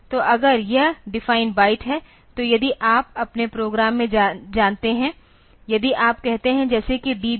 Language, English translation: Hindi, So, if this defined byte, so if you know in your program somewhere if you write like say DB 20